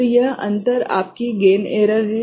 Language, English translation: Hindi, So, this difference is your gain error